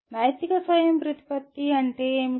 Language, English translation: Telugu, What is moral autonomy